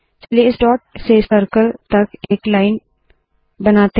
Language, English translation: Hindi, Let us draw a line from this dot to the circle